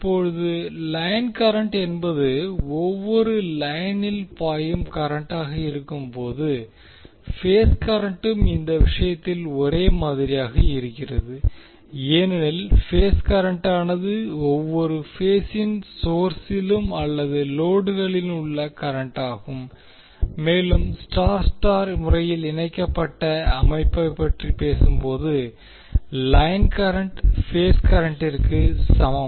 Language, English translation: Tamil, Now while the line current is the current in each line, the phase current is also same in this case because phase current is the current in each phase of source or load and when we talk about the Y Y connected system we will see that the line current is same as the phase current